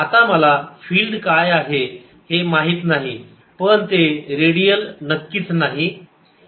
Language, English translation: Marathi, now i don't know what the field is, but certainly need not be radial